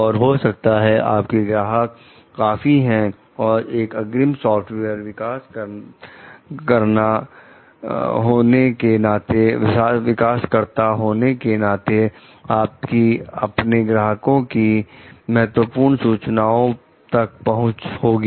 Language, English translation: Hindi, And your clients maybe and, because you are a lead software developer you may have access to the like very important information about each of your clients